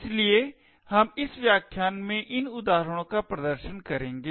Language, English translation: Hindi, So we will demonstrate these examples in this lecture